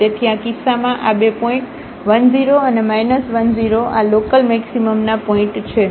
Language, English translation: Gujarati, So, in this case these 2 points plus 1 0 and minus 1 0 these are the points of local maximum